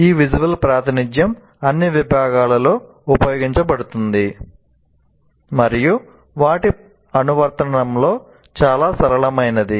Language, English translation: Telugu, And these visual representations can be used in all disciplines and are quite flexible in their application